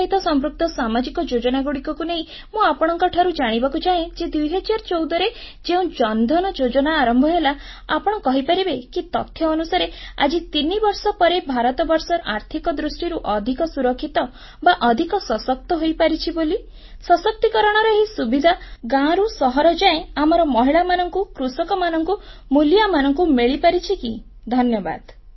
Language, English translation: Odia, With reference to the social schemes related to Financial Inclusion, my question to you is In the backdrop of the Jan DhanYojna launched in 2014, can you say that, do the statistics show that today, three years later, India is financially more secure and stronger, and whether this empowerment and benefits have percolated down to our women, farmers and workers, in villages and small towns